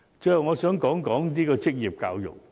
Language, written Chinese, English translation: Cantonese, 最後，我想說說職業教育。, Finally I would like to talk about vocational education